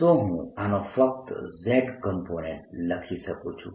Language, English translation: Gujarati, i can write only the z component of this